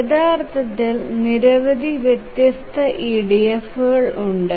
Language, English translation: Malayalam, There are some variations, actually many variations of EDF